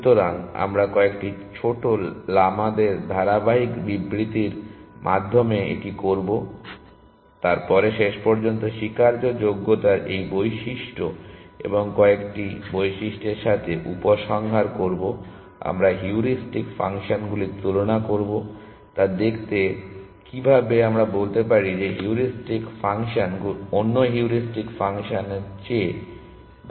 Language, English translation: Bengali, So, we will do this through a series of small lamas through a series of statements then eventually conclude with this property of admissibility and the couple of properties we will compare heuristic functions to see if how can we say that one heuristic function is better than another heuristic function